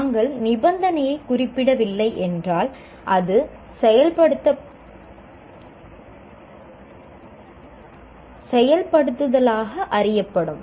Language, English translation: Tamil, Where you do not specify the condition, it becomes what we call implement